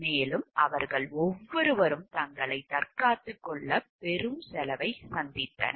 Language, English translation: Tamil, And each of them incurred great cost defending themselves